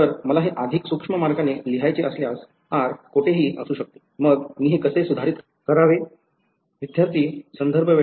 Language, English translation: Marathi, So, if I want to write this in more precise way where G of r vector, r can be anywhere then how should I modify this